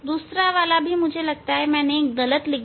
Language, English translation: Hindi, other one also I think I have written wrongly